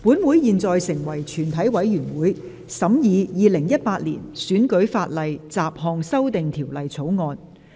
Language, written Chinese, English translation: Cantonese, 本會現在成為全體委員會，審議《2018年選舉法例條例草案》。, Council now becomes committee of the whole Council to consider the Electoral Legislation Bill 2018